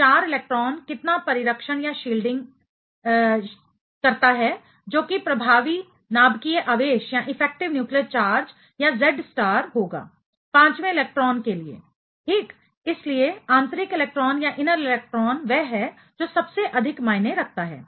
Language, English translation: Hindi, So, the 4 electrons, how much shielding that that is having that is going to be the effective nuclear charge or Z star for the fifth electron ok; so, the inner electrons that is the one which matters most